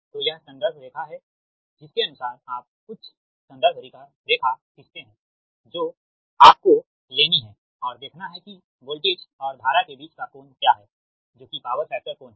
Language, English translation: Hindi, accordingly, you draw some reference line you have to take and see what is the angle between voltage and current, that is, power factor angle